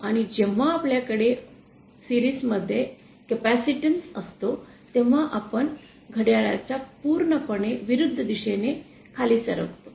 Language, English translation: Marathi, And when we have a capacitance in series, we move in anticlockwise downwards, direction downwards